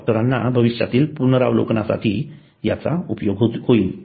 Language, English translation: Marathi, It is of use by physicians for future review